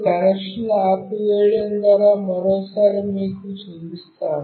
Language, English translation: Telugu, Now, I will show you once more by switching off the connection